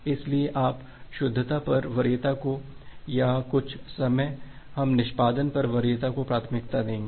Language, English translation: Hindi, So, you will give the preference over correctness or some time we give preference over performance